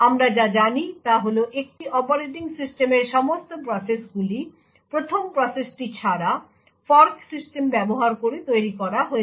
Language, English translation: Bengali, What we do know is that all processes in an operating system are created using the fork system, except for the 1st process